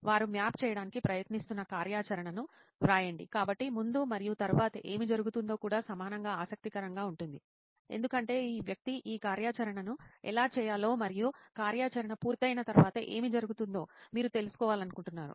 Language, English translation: Telugu, So just to be very simple write down the activity that they are trying to map, so what happens before and after is also equally interesting because you want to find out how this person got around to doing this activity and what happens after the activity is done